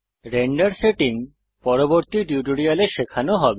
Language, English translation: Bengali, Render settings shall be covered in a later tutorial